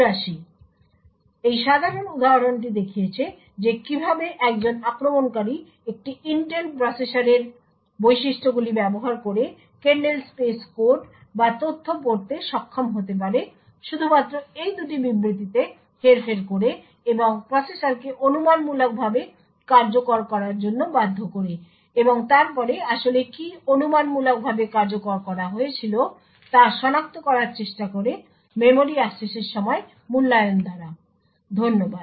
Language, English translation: Bengali, could use the features of an Intel processor to be able to read kernel space code or data just by manipulating these two statements and forcing the processor to speculatively execute and then try to identify what was actually speculatively executed by evaluating the memory access time, thank you